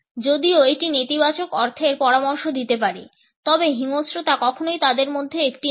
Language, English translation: Bengali, Even though it may suggest negative connotations, but violence is never one of them